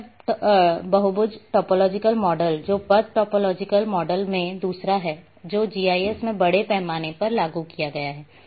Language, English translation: Hindi, The path polygon topological model that is the second in path topological model has been implemented in GIS extensively